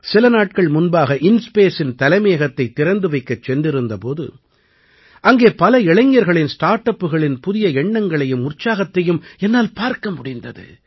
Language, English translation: Tamil, A few days ago when I had gone to dedicate to the people the headquarters of InSpace, I saw the ideas and enthusiasm of many young startups